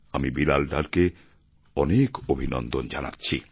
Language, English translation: Bengali, I congratulate Bilal Dar